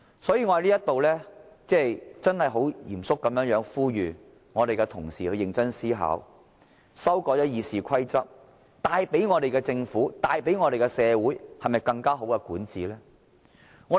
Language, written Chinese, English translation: Cantonese, 所以，我在此很認真而嚴肅地呼籲同事認真思考，修改《議事規則》會否為我們的政府和社會帶來更好的管治呢？, Therefore I seriously and solemnly appeal to Honourable colleagues here to carefully think about whether the amendment of RoP would bring forth better governance for our Government and society